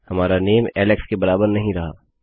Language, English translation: Hindi, Our name doesnt equal Alex anymore